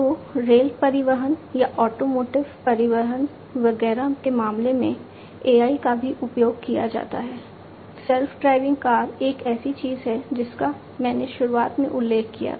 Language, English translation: Hindi, So, in the case of rail transportation or automotive transportation, etcetera AI is also used, self driving car is something that I mentioned at the outset